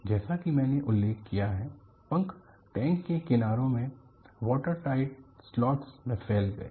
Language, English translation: Hindi, As I mentioned, the wings protruded from water tight slots in the sides of the tank